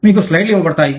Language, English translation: Telugu, You will be given the slides